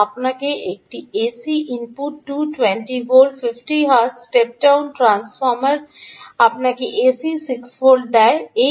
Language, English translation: Bengali, you have an a c ah input, two, twenty volts, fifty hertz step down transformer gives you a c six, fifty volts